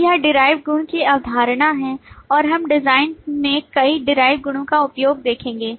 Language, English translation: Hindi, So this is the concept of derived property and we will see the use of several derived property in the design